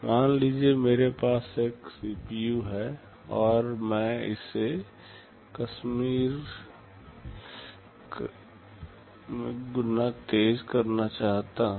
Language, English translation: Hindi, Suppose, I have a CPU and I want to make it k times faster